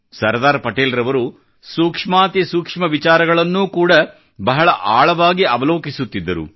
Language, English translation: Kannada, Sardar Patel used to observe even the minutest of things indepth; assessing and evaluating them simultaneously